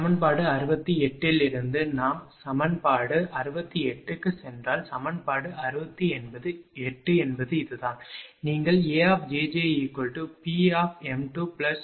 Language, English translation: Tamil, Then you will see equation 68 is this one, we wrote A j j is equal to P m 2 r j j plus Q m 2 x j j minus 0